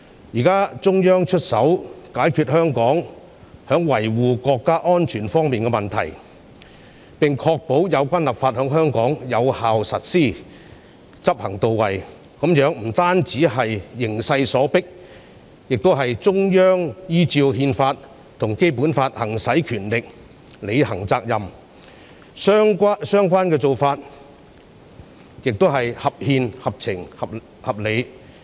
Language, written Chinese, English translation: Cantonese, 現在中央出手解決香港在維護國家安全方面的問題，並確保有關立法在香港有效實施，執行到位，這不單是形勢所迫，亦是中央依照憲法及《基本法》行使權力，履行責任，相關做法亦合憲、合情、合理。, Now the Central Authorities have stepped in to resolve Hong Kongs problem in maintaining national security and ensure effective and proper implementation of the relevant legislation in Hong Kong . This is not only demanded by the exigencies of the situation . It is also an exercise of power by the Central Authorities under the Constitution and the Basic Law to fulfil their responsibility